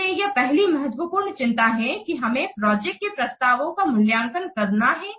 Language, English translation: Hindi, So, this is the first important concern that we have to evaluate the proposals for the projects